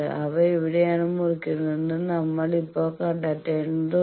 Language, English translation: Malayalam, So we need to now find out that where they are cutting